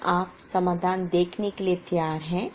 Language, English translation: Hindi, Are you ready to see the solution